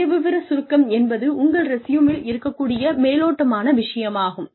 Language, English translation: Tamil, Profile summary is an overview of, what is contained in your resume